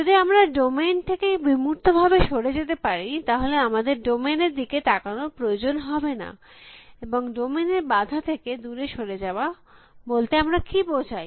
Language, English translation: Bengali, If we can abstract away from the domain, then we do not leave need to look at the domain and what do a mean by obstructing away from the domain